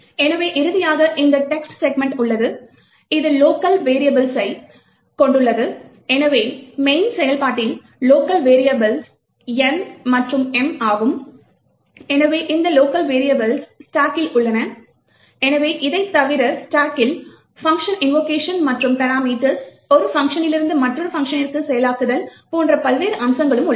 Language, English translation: Tamil, So finally we have this text segment, which comprises of the local variables, so in the function main, the local variables are N and M, so this local variables are present in the stack, so besides these, the stack also contains various aspects of function invocation and parameters processing from one function to another